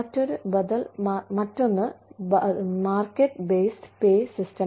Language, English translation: Malayalam, The other alternative is, market based pay